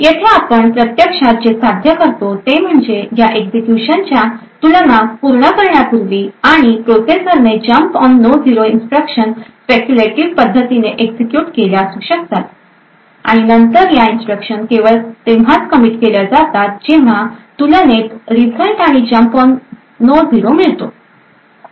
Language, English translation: Marathi, So what we actually achieve over here is that even before completing the execution of this compare and jump on no zero instructions the processor could have actually speculatively executed these set of instructions and then commit these instructions only when the result of compare and jump on no 0 is obtained